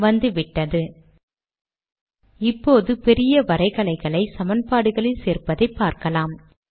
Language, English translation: Tamil, We will now show to create large graphics in equations